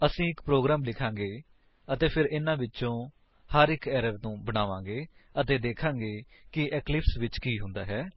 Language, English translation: Punjabi, We shall write a program and then make each of these errors and see what happens in Eclipse